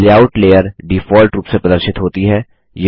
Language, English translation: Hindi, The Layout layer is displayed by default